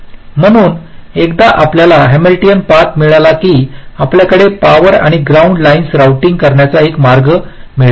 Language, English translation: Marathi, so once you get a hamiltionian path, you have one way of routing the power or the ground lines